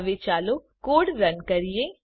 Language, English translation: Gujarati, Now let us run the code